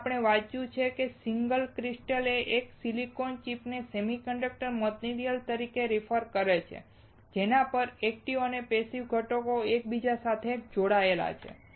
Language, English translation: Gujarati, Here we have read, the single crystal refers to a single silicon chip as the semiconductor material on which passive and active components are interconnected nice